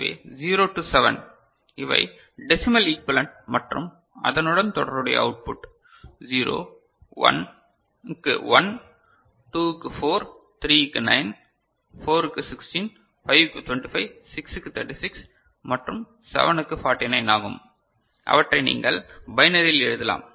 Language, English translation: Tamil, So, 0 to 7 these are the decimal equivalent right and corresponding output is 0, 1 is 1, 2 is 4, 3 is 9, 4 is 16, 5 is 25, 6 is 36 and 7 is 49 and you can write them in binary right